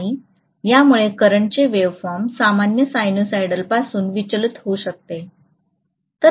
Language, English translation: Marathi, And that is going to cause the current waveform deviating from the normal sinusoid